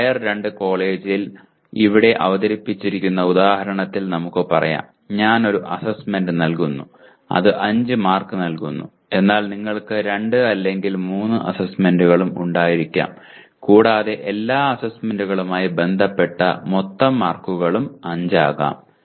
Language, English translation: Malayalam, Let us say in the example presented here in a Tier 2 college, I give one assignment which is given as 5 marks but you can also have 2 or 3 assignments and the total marks associated with all the assignments could also be 5